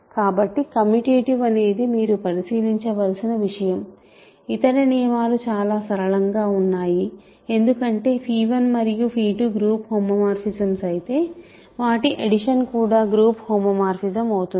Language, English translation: Telugu, So, commutative is something you have to check, the other condition are fairly straight forward because if phi 1 and phi 2 are group homomorphisms, their sum is group homomorphism